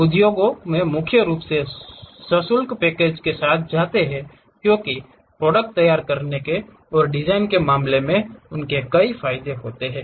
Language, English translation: Hindi, Industry mainly goes with paid packages because they have multiple advantages in terms of preparing and design materials